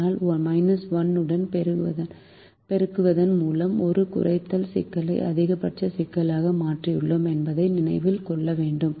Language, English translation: Tamil, but we have to remember that we have converted a minimization problem to a maximization problem by multiplying with a minus one